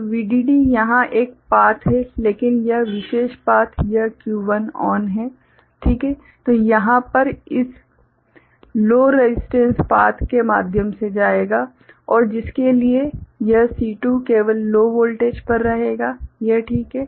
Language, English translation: Hindi, So, VDD there is a path over here, but this particular paths this Q1 is ON, right, so it will go through this you know a low resistance path over here and for which this C2 will remain at you know low voltage only, is it ok